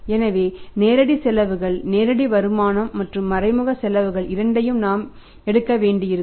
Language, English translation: Tamil, So, we will have to take the direct expenses direct income and indirect expenses also both